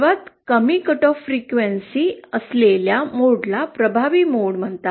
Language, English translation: Marathi, The mode that has the lowest cut off frequency is called the dominant mode